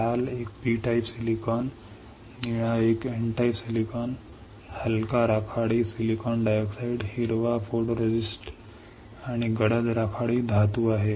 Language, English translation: Marathi, Red one is P type silicon, blue one is N type silicon, light grey is silicon dioxide, green is photoresist, dark grey is metal this much is there